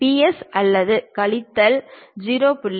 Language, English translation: Tamil, 120 plus or minus 0